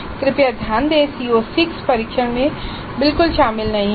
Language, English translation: Hindi, Note that CO6 is not at all covered in the test